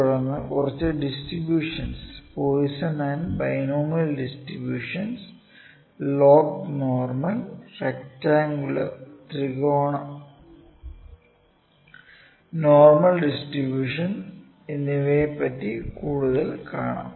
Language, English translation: Malayalam, Then I will discuss a few distributions Poisson and binomial distributions, the log normal, rectangular, triangular and normal distribution